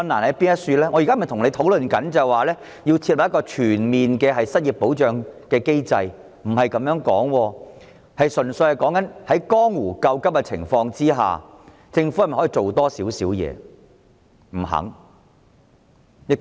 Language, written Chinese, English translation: Cantonese, 我不是要跟局長討論設立全面失業保障機制，純粹是在江湖救急的情況下，政府可否再多做一點？, I am not asking the Secretary to establish a comprehensive unemployment protection mechanism . I am only asking the Government whether it is willing to do a little more to provide urgent help